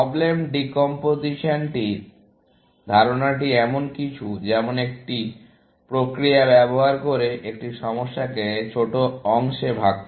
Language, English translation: Bengali, The idea of problem decomposition is something, like using a mechanism to break up a problem into smaller parts